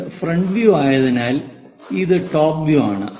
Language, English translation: Malayalam, because this is front view, this is top view